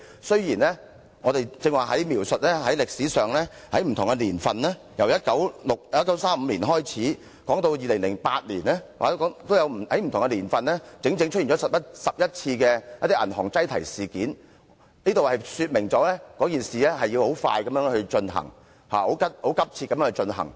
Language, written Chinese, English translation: Cantonese, 雖然我剛才描述歷史上不同的年份，由1935年開始，說到2008年，在不同年份出現了整整10多次銀行擠提事件，這說明《條例草案》審議事宜必須很快和很急切地進行。, The historical events I described just now starting from 1935 to 2008 occurred in different years . Yet there were no less than a dozen bank runs throughout all those years which points to the fact that the scrutiny of the Bill needs to be carried out quickly and urgently